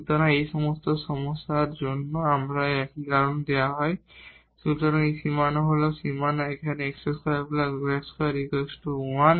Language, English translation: Bengali, So, in all these problems when we have such a reason is given; so, this boundary is the boundary is here x square plus y square plus is equal to 1